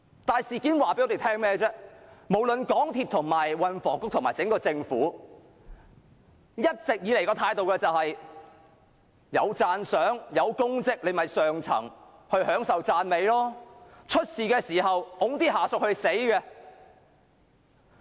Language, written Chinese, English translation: Cantonese, 但是，事件告訴我們，無論港鐵公司、運輸及房屋局和整個政府，一直以來的態度都是有功績時，便由上層享受讚美；當發生事故時，便推下屬承擔責任。, However from the incident now under discussion it reflects that for MTRCL the Transport and Housing Bureau or the Government as a whole when there are any merits or achievements the top management will take the credit; and when there are troubles the subordinates will take the blame